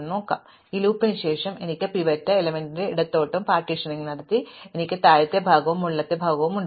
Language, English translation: Malayalam, So, finally, after this loop I have done this partitioning to the extent where I have the pivot element, I have the lower part and the upper part